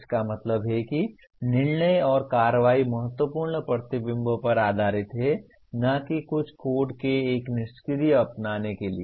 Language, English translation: Hindi, That means decisions and action are based on critical reflection and not a passive adoption of some code